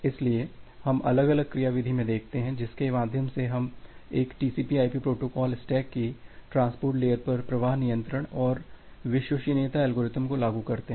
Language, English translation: Hindi, So, we look into the different mechanism through which we implement the flow control and the reliability algorithms over the transport layer of a TCP/IP protocol stack